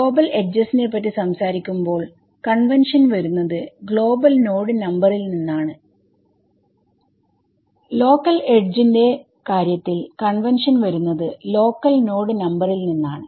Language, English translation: Malayalam, When I talk about global edges, the convention comes from global node numbers when I talk about local edges the convention comes from local node numbers ok